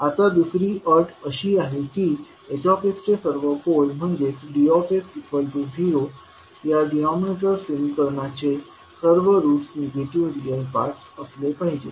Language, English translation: Marathi, Now the second condition is that all poles of h s that is all roots of the denominator equation that is d s equal to zero must have negative real parts